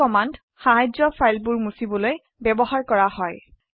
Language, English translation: Assamese, This command is used for deleting files